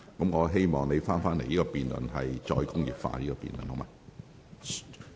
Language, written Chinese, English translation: Cantonese, 我希望你返回"再工業化"的辯論議題。, I hope that you will return to the question of re - industrialization under this debate